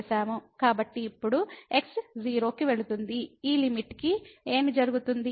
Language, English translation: Telugu, So, now, we can take that goes to , what will happen to this limit